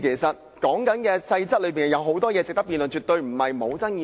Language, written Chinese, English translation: Cantonese, 《修訂規則》有很多細節值得辯論，絕非不具爭議性。, Many details of the Amendment Rules are worth discussing and the Amendment Rules are definitely not uncontroversial